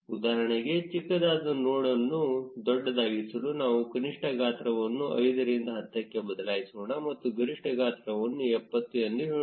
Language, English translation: Kannada, For instance, let us change the minimum size from 5 to 10 to make the even smallest node bigger and change the maximum size to let us say 70